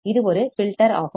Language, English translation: Tamil, So, what is that filter